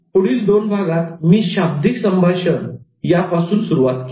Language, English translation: Marathi, In the next two, I started introducing non verbal communication